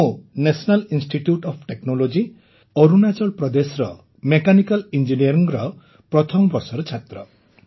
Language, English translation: Odia, I am studying in the first year of Mechanical Engineering at the National Institute of Technology, Arunachal Pradesh